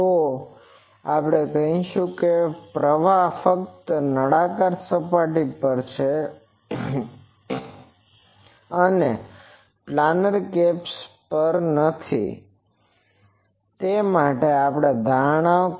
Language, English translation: Gujarati, So, we will say that only the current is on the cylindrical surface not on this planar caps that is why these assumptions